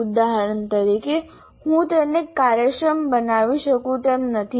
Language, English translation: Gujarati, For example, I may not be able to make it efficient